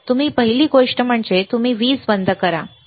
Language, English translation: Marathi, First thing that you do is you switch off the power, all right